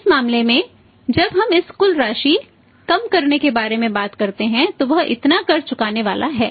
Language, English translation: Hindi, In this case the when we talk about this total amount then less tax how much tax is going to pay less income tax